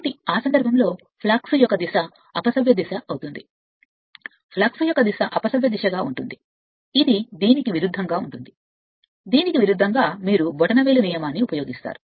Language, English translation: Telugu, So, in that case the direction of the flux will be anticlockwise, direction of the flux will be anticlockwise say this one, say this one just opposite to this, just opposite to this just you will use the thumb rule